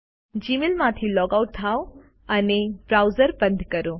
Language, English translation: Gujarati, Lets log out of Gmail and close this browser